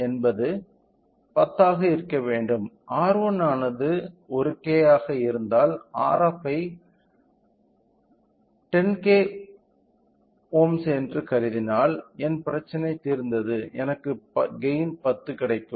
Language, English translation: Tamil, So, if I say R f is equal to 10 R 1 if R 1 is 1K then if I consider R f as 10 kilo ohms, my problem solved I will get a gain of 10